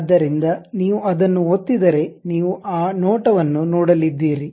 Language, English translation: Kannada, So, if you are going to click that you are going to see that view